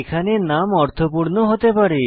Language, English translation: Bengali, Variable names should be meaningful